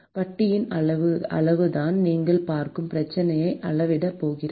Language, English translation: Tamil, that is the quantity of interest which is going to quantify the problem that you are looking at